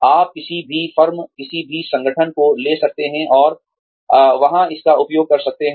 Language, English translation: Hindi, That, you can take to, any firm, any organization, and have, and make use of it there